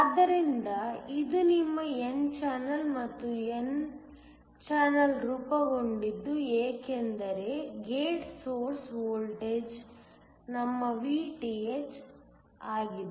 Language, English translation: Kannada, So, This one is your n channel and the n channel forms because a gate source voltage is our Vth